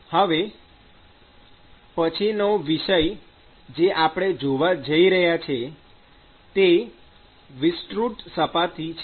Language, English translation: Gujarati, So, the next topic that we are going to see is extended surfaces